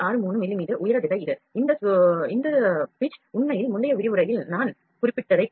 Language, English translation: Tamil, 63 height direction is this, this pitch is actually resolution that I mentioned in the previous lecture